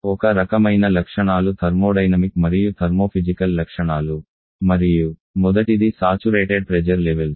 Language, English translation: Telugu, One kind of properties of a thermodynamic and thermos physical properties and their first is the saturation pressure levels